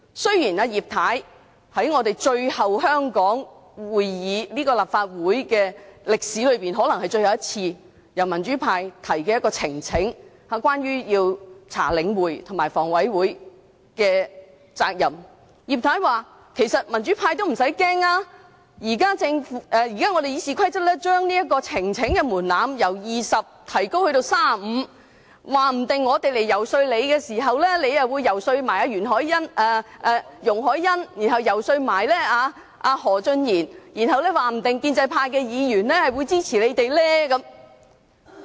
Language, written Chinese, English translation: Cantonese, 今次可能是葉太在香港立法會會議的歷史中，最後一次支持由民主派提交的呈請書，調查領展和香港房屋委員會的責任，但葉太說民主派不用害怕，修訂《議事規則》，將提交呈請書的門檻由20人提高至35人後，說不定我們日後遊說她時，她也會遊說容海恩議員，然後又遊說何俊賢議員，說不定建制派議員也會支持我們。, This may be the last time in the history of the Legislative Council of Hong Kong that Mrs Regina IP supported the petition presented by the democrats in investigating the responsibilities of Link REIT and the Hong Kong Housing Authority . Mrs IP asked the democrats not to worry about the amendment of RoP to raise the threshold of the number of Members required for presenting a petition from 20 to 35 . She said that if we lobbied her in the future she might first persuade Ms YUNG Hoi - yan and then Mr Steven HO to support us